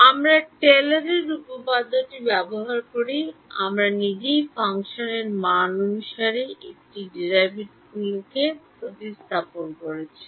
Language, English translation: Bengali, We use Taylor's theorem, we substituted a derivative by function value itself